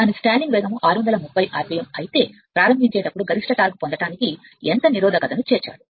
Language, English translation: Telugu, If its stalling speed is 630 rpm, how much resistance must be included per to obtain maximum torque at starting